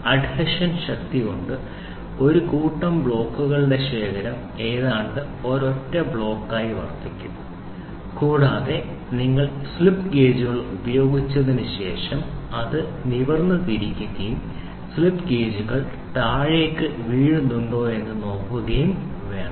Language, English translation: Malayalam, The force of adhesion is such that the stack of set of blocks will almost serve as a single block and interestingly said what people say after you wrung slip gauges you have to turn it upright and see whether the slip gauges fall down or not